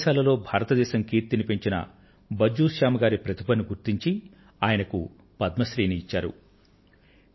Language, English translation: Telugu, The talent of Bhajju Shyam ji, who made India proud in many nations abroad, was also recognized and he was awarded the Padma Shri